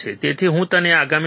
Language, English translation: Gujarati, So, I will see you in next module